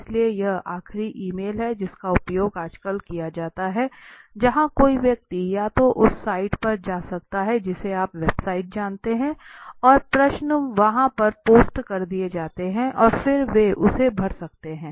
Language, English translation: Hindi, So this is the last email is used nowadays where a person can either go to a site you know website and their questions are posted over there and then they can fill it up